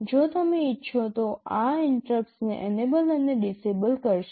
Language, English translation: Gujarati, This will enable and disable interrupts if you want